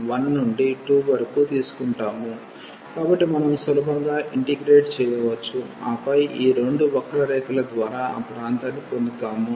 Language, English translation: Telugu, So, which we can easily integrate and then we will get the area enclosed by these two curves